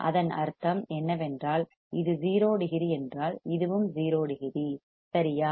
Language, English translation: Tamil, If it is 0 degree, this is also 0 degree right